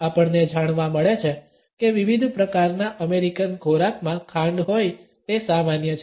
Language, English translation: Gujarati, We find that it is common in different types of American foods to have sugar